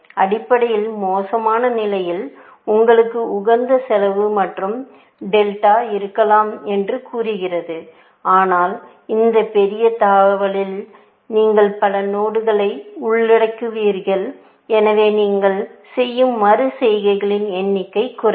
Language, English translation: Tamil, Basically, says that in the worst case, you may have optimal cost plus delta, but in this big jump, you would cover many nodes, so the number of iterations that you do would drop, essentially